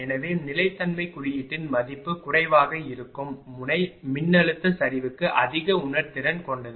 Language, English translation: Tamil, Therefore, node at which the value of the sensitivity sensitivity index is minimum that node is more sensitive the voltage collapse